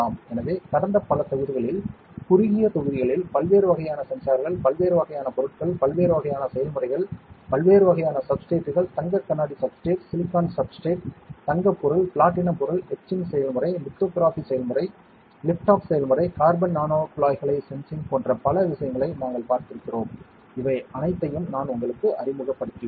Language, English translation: Tamil, So, in the past several modules short modules we have seen different types of sensors, different types of materials, different types of processes, different types of substrates, gold glass substrate, silicon substrate gold material, platinum material, etching process, lithography process, lift off process, a lot of things we have seen sensing materials carbon nanotubes I have introduced you to all these things